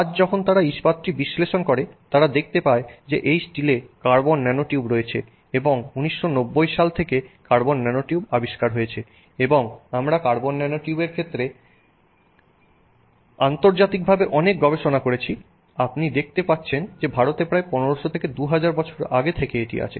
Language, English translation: Bengali, Today when they analyze the steel they find that these steels contain carbon nanotubes and this is something that you know since 1990 there is a discovery of carbon nanotubes and we have you know done a lot of research internationally in the area of carbon nanotubes